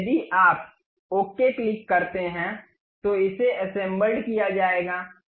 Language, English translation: Hindi, Now, if you click ok, it will be assembled